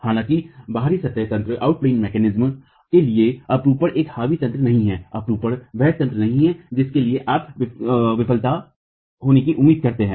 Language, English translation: Hindi, However, for out of plane mechanisms, shear is not a dominating mechanism, sure is not the mechanism which, for which you expect failure to occur